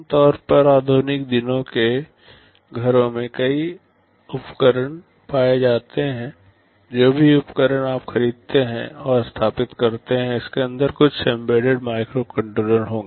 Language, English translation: Hindi, You typically find many such devices in modern day households, whatever equipment you purchase you deploy and install, there will be some embedded microcontroller inside it